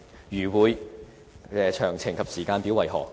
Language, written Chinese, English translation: Cantonese, 如會，詳情及時間表為何？, If he will do so what are the details and the timetable?